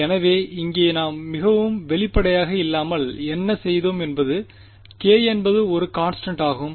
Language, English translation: Tamil, So, here what we did without really being very explicit about is that k is a constant right